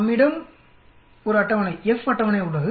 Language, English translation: Tamil, We also have a table, F table